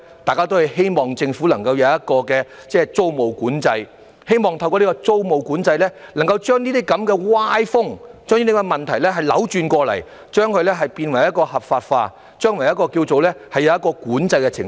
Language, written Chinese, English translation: Cantonese, 大家都希望政府能夠設立租務管制，並希望能透過租務管制把這類歪風和問題扭轉過來，把"劏房"變為合法化，使之將來能在管制之下。, Everyone hopes that the Government can introduce tenancy control and that such an undesirable trend and the problems can be reversed through tenancy control for legitimizing SDUs and making it possible to have them under control in the future